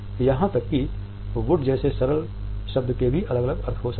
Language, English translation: Hindi, Even a simple word like ‘wood’ may have different meanings and connotations